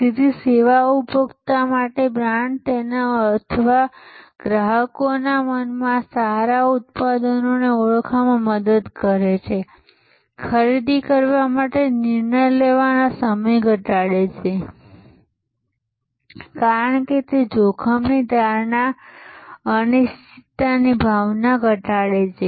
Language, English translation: Gujarati, So, to the service consumer, brand helps to identify good products in his or in the consumers mind, reduce the decision making time to make the purchase, because it reduces the risk perception, the sense of uncertainty